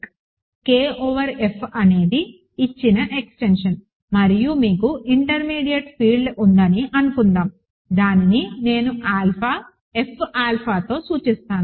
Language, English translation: Telugu, Suppose, K over F is the given extension and you have an intermediate field which I call, which I denote by alpha, F alpha